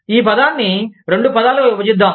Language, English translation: Telugu, Let us split this word, into two words